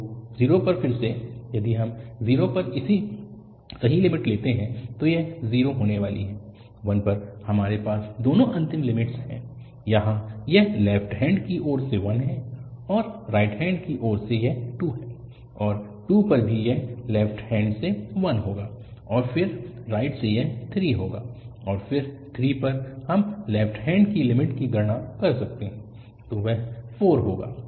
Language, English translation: Hindi, So, again at 0, if we take the right limit at 0 this is going to be 0, at 1 we have both the end limits here it is 1 from left and that from the right hand side it is 2, and at 2 also this is going to be 1 from the left hand and then from the right it is going to be 3, and again at 3 we can compute the left hand limit and that will give 4